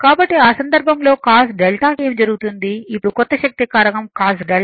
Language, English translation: Telugu, So, in that case what will happen that our cos delta said now, new power factor say cos delta is equal to 0